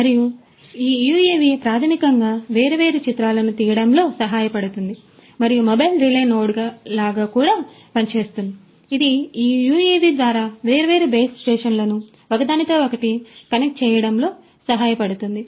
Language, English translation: Telugu, And this UAV basically helps in taking the different images and can also act like a mobile relay node, which can help connect different base stations to each other through this UAV